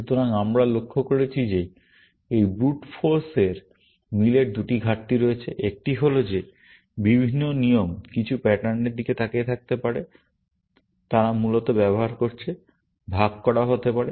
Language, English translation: Bengali, So, we have observed that this brute force match has two deficiencies; one there is possible that different rules may be looking at the some of the patterns, they are using, may be shared, essentially